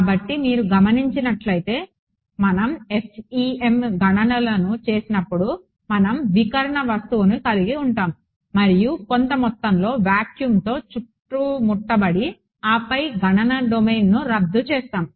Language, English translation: Telugu, So, if you notice that I mean when we do FEM calculations we will have the scattering object and surrounded by some amount of vacuum and then terminate the computational domain